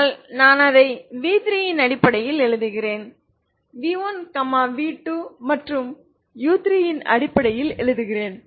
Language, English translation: Tamil, But i write it in terms of v3 i write in terms of v1 v2 and u3, so once i have v2 i can remove this u2 gone ok